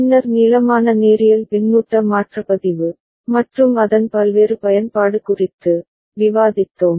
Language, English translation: Tamil, And then we discussed at length linear feedback shift register, and its various use